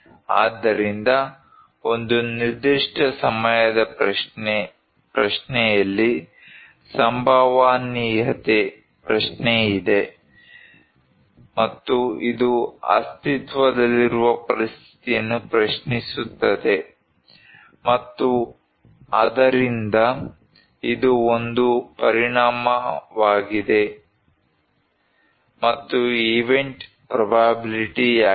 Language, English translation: Kannada, So there is a probability question in a particular time question, and it would challenge the existing situation, and so it is a consequence and is the event probability